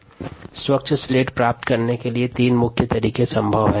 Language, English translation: Hindi, to achieve the clean slate, there are ah three methods possible